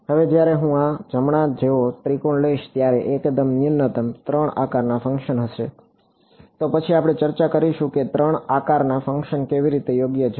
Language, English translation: Gujarati, Now, when I take a triangle like this right the bare minimum would be 3 shape functions, then we will discuss how there are 3 shape functions right